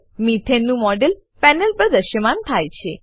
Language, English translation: Gujarati, A model of Methane appears on the panel